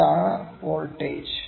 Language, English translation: Malayalam, This is this is the voltage